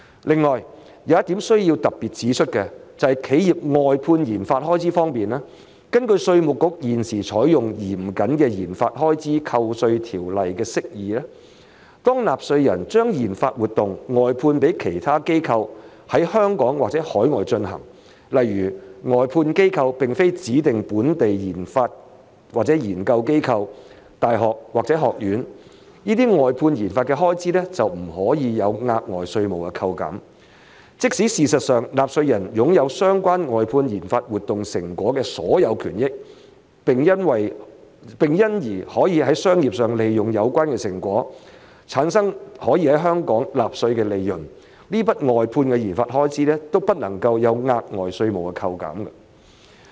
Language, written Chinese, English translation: Cantonese, 另外，有一點需要特別指出的，就是企業外判研發開支方面，根據稅務局現時採用嚴謹的研發開支扣稅條例的釋義，當納稅人將研發活動外判予其他機構在香港或海外進行，例如外判機構並非指定本地研發或研究機構、大學或學院，這些外判研究的開支便不可獲額外稅務扣減；即使事實上納稅人擁有相關外判研發活動成果的所有權益，並因而可在商業上利用有關成果產生可在香港納稅的的利潤，這筆外判研發開支亦不可獲額外稅務扣減。, In addition one point that needs to be stressed is related to the expenditure incurred by enterprises on contracted - out RD . According to the strict interpretation currently adopted by the Inland Revenue Department under the legislation on tax deduction for RD expenditure if a taxpayer contracts out RD activities to other parties such as any that is not a designated local research institution university or college for the conduct of such activities in Hong Kong or overseas the expenditure on such contracted - out RD is not eligible for enhanced tax deduction . Even if in fact the taxpayer owns all the interests in the outcomes of the contracted - out RD activities and can therefore generate profits taxable in Hong Kong by commercializing such outcomes the relevant expenditure on contracted - out RD is not eligible for enhanced tax deduction